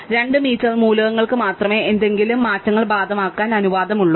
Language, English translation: Malayalam, Only 2 m elements are allowed to have any changes apply to them at all, right